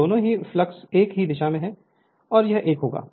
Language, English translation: Hindi, So, both the flux will be same direction this one and this one